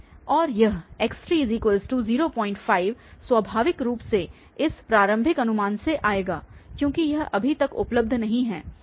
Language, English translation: Hindi, 5 naturally will come from this initial guess, because it is not available yet